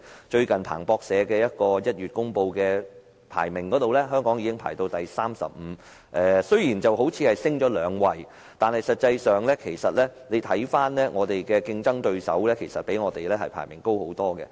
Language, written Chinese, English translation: Cantonese, 最近，彭博社在1月公布全球最具創新力的經濟體排名，香港排名第三十五位，上升了兩位，但實際上我們的競爭對手比我們的排名高很多。, Recently in January Bloomberg announced the rankings of the world most innovative economies . Hong Kong climbed up two levels to rank 35 but our competitors ranked much higher than us